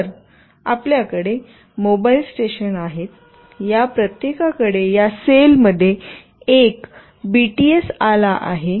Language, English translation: Marathi, So, we have mobile stations, each of these has got one BTS in this cell